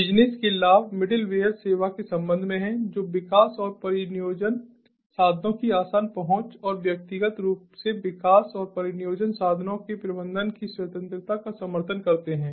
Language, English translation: Hindi, the business advantages are with respect to the middleware service support, the development and deployment tools, the easy access to them and also the freedom for managing development and deployment tools individually